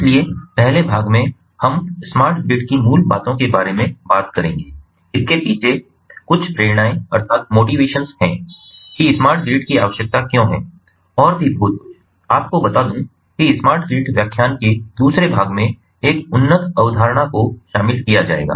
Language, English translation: Hindi, so in the first part we will be talking about the basics of ah smart grid, some of the motivations behind why smart grid is required, and there, after, some of the more ah you know a advanced concepts will be covered in the second part of the smart grid lecture